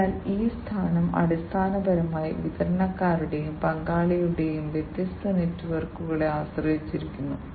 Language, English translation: Malayalam, So, this position basically also depends on the different networks of suppliers and the partners